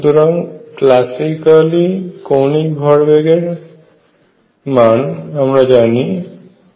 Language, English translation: Bengali, Now classically you have angular momentum which is r cross p